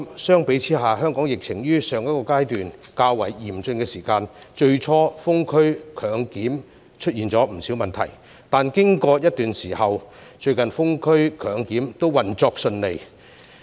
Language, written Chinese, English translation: Cantonese, 相比之下，香港疫情於上一個階段較為嚴峻時，最初的封區強檢出現了不少問題，但經過一段時間後，最近封區強檢都運作順暢了。, By contrast when the epidemic in Hong Kong was rather severe at the previous stage the Government had initially encountered many problems in imposing lockdowns on certain areas for compulsory testing . But after a period of time it managed to carry out such lockdowns for compulsory testing smoothly